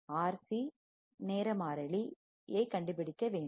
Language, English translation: Tamil, we have to find the R C time constant